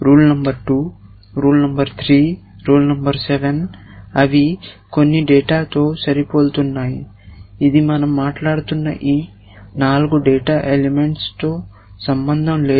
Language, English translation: Telugu, Rule number 2, rule number 3, rule number 7 they were matching with some data which is nothing to do with this 4 data elements that we are talking about